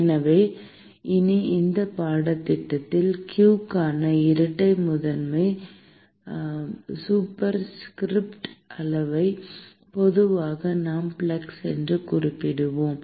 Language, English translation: Tamil, And so, henceforth, in this course, the quantity double prime superscript for q usually we will refer to as flux